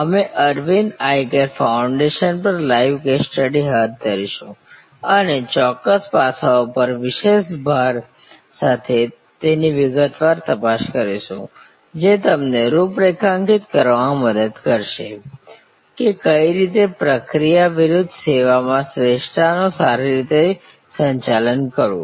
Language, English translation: Gujarati, We will take up that live case study on Aravind Eye Care Foundation and look into it in detail with particular emphasis on certain aspects, which will help you to configure, processes versus excellence in any service that you manage